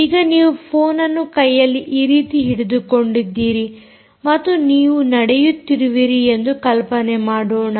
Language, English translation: Kannada, now imagine that you are holding the phone in this, in your hand, and you are walking